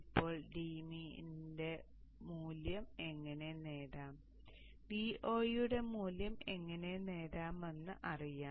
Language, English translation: Malayalam, And then use this dmin value here to find out the value of y